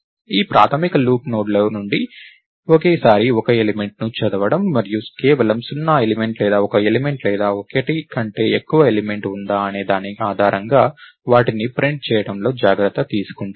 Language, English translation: Telugu, So, this basic loop takes care of reading one element at a time from the nodes and printing them based on whether there is only zero element or one element or more than one element